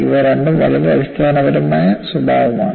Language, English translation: Malayalam, These two are very fundamental in nature